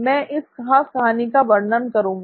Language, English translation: Hindi, So I'll demonstrate this particular story